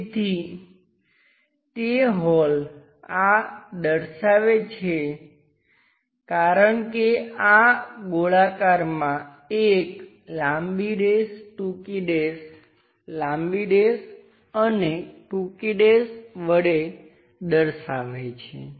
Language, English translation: Gujarati, So, those holes represents this because this is a circular one long dash, short dash, long dash and short dash kind of representation